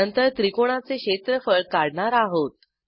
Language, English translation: Marathi, Then we calculate the area of the triangle